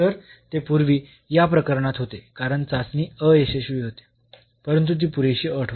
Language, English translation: Marathi, So, it was easier in this case because the test fails, so but it was a sufficient condition